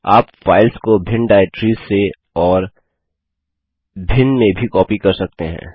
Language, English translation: Hindi, We can also copy files from and to different directories.For example